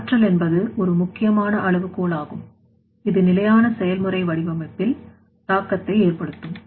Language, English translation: Tamil, So, energy is one important criterion which will impact or which will affect on the sustainable process design